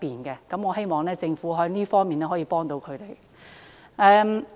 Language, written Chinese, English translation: Cantonese, 就這方面，我希望政府可以協助他們。, In this regard I hope that the Government can provide them with assistance